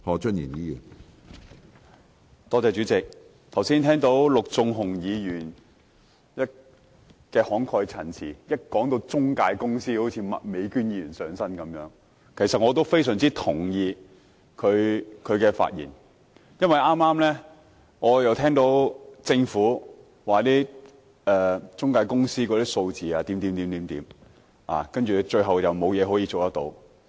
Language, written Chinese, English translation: Cantonese, 剛才我聽到陸頌雄議員慷慨陳詞，一談到中介公司便好像麥美娟議員"上身"般，其實我非常認同他的發言，因為我剛剛聽到政府提及關於中介公司的數字後，最終卻表示沒有事可以做。, When Mr LUK Chung - hung delivered his impassioned speech just now it seemed that he had transformed into Ms Alice MAK at the mention of intermediaries . Actually I strongly share his speech because I just heard the Government say that nothing could be done after mentioning the figures of intermediaries